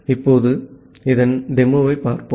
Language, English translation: Tamil, Now, let us look into the demo of this one